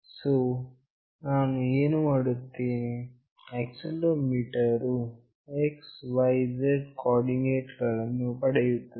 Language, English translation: Kannada, So, what I will be doing, the accelerometer will be getting the x, y, z coordinates